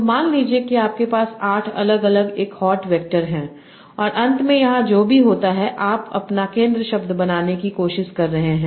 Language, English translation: Hindi, So suppose you are having eight different one hot vectors and whatever happens here, finally you are trying to predict your center word